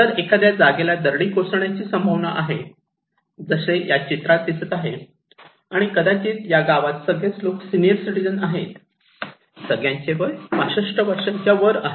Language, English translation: Marathi, If in a place that is prone to landslides or potentially to have a landslide, like this one you can see and maybe in this village, the all people living there are old people; senior citizens above 65 years old